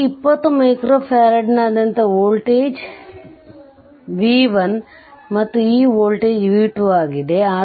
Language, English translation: Kannada, Say voltage across this 20 micro farad is b 1, this voltage is b 1, and this voltage is b 2 right